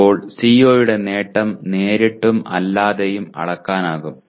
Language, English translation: Malayalam, Now the CO attainment can be measured either directly and indirectly